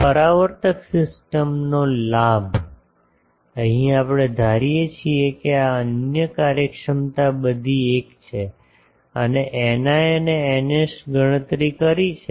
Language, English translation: Gujarati, Gain of this reflector system; here we assume that other efficiencies are all 1; eta i and eta s we have calculated